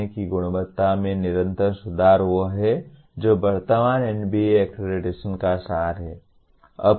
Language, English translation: Hindi, Continuous improvement in the quality of learning is what characterize is the essence of present NBA accreditation